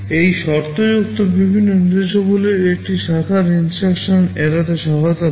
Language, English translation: Bengali, This conditional variety of instructions helps in avoiding one branch instruction